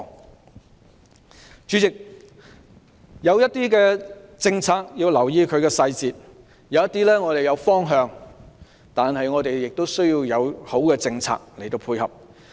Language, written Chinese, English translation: Cantonese, 代理主席，有些政策要留意其細節，而即使我們有方向，但亦要有好的政策配合。, Deputy President we need to pay attention to the details of some policies . We may already have a direction but we also need a good policy to go with it